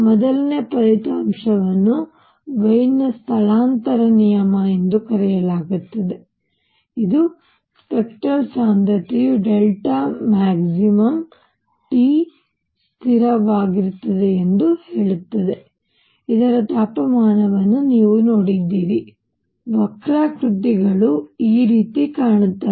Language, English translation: Kannada, First result is known as Wien’s displacement law which says that lambda max where the spectral density is maximum times T is a constant, you have seen that the temperature; the curves look like this